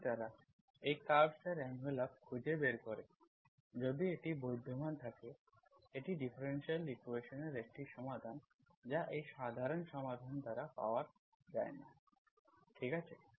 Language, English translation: Bengali, If they, the envelope of these curves if you can find, if it exists, it is a solution of the differential equation that cannot be gotten by this general solution, okay